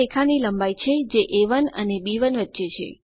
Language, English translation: Gujarati, this is the length of the line which is between A1 and B1